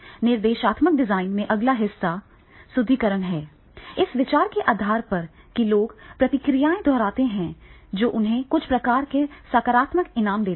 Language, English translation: Hindi, Next part in the instruction design is that is a reinforcement based on the idea that people repeat responses that give them some type of positive reward